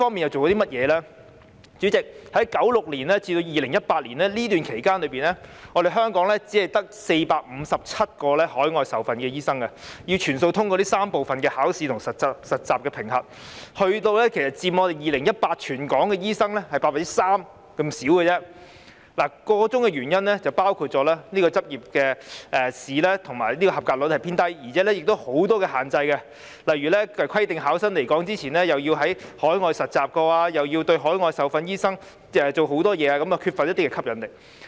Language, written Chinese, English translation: Cantonese, 代理主席，在1996年至2018年期間，香港只有457名海外受訓的醫生，他們要全數通過3部分的考試和實習評核，而他們在2018年全港醫生人數中只佔 3%， 箇中原因包括執業試的及格率偏低，而且亦有很多限制，例如規定考生來港前曾在海外實習，並對海外受訓醫生施加很多限制，以致缺乏吸引力。, Deputy President from 1996 to 2018 there were only 457 overseas - trained doctors in Hong Kong . They were required to pass all three component examinations and internship assessment and they represented only 3 % of the total number of doctors in 2018 . This could be attributable to a low pass rate in the Licensing Examination and there were also many restrictions such as the requirement for candidates to have completed overseas internship before coming to Hong Kong